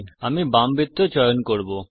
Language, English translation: Bengali, Let me choose the left circle